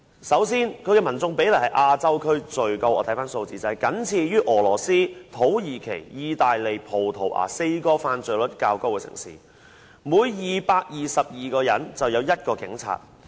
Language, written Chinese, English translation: Cantonese, 首先，香港警察與民眾比例是亞洲區內最高，根據早前的數字，是僅次於俄羅斯、土耳其、意大利及葡萄牙這4個犯罪率較高的城市，每222人便有1名警察。, First of all the Police to population ratio of Hong Kong is the highest in Asia . According to the figures released earlier with one police officer to 222 people Hong Kong was preceded only by Russia Turkey Italy and Portugal four cities with higher crime rates